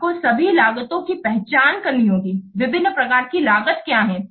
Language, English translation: Hindi, What are the different kinds of costs you have to identify